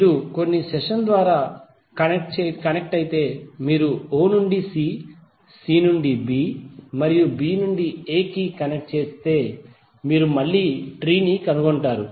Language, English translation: Telugu, But if you connected through some session like if you connect from o to c, c to b and b to a then you will again find the tree